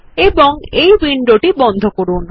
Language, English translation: Bengali, And close this window